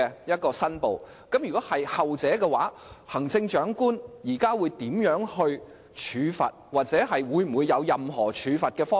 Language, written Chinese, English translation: Cantonese, 如果情況屬後者，行政長官會如何處罰該人，又或是否有任何處罰方案？, In the latter case how will the Chief Executive punish that person or is there any option of punishing that person?